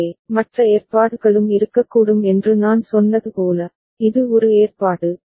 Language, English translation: Tamil, So, as I said there can be other arrangement also, this is one arrangement